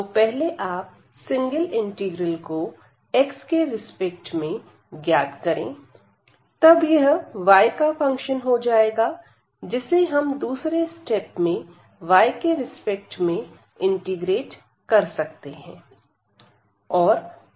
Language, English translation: Hindi, So, first evaluate the singer integral with respect to x and this will be function of y, which can be integrated and second the step with respect to y